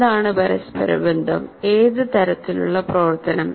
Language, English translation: Malayalam, So what are the interactions, what kind of activity